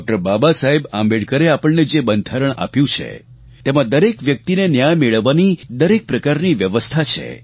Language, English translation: Gujarati, Baba Saheb Ambedkar there is every provision for ensuring justice for each and every person